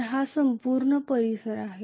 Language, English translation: Marathi, So that is this entire area